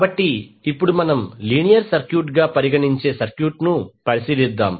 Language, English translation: Telugu, So, now again let us consider the circuit we consider a linear circuit